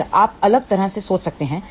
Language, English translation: Hindi, Well, you can think differently